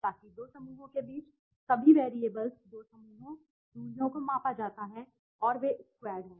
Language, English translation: Hindi, So that two clusters all the variables between the two clusters, the distances are measured and they squared right